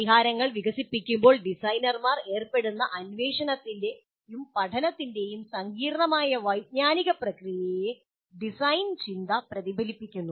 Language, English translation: Malayalam, Design thinking reflects the complex cognitive process of inquiry and learning that designers engage in while developing the solutions